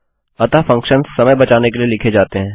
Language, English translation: Hindi, There you go So, functions are written to save time